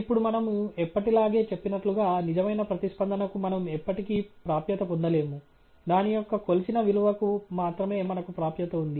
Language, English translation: Telugu, Now, as we have always said, we never get access to the true response, we only have access to the measured value of it